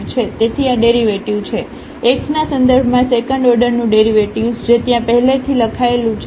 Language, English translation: Gujarati, So, this is the derivative, the second order derivative with respect to x, which is already written there